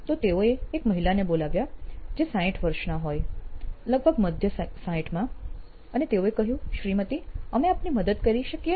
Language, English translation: Gujarati, So, they called up a lady in her 60’s, mid 60’s maybe and they said, ‘Ma’am, can we do something to help you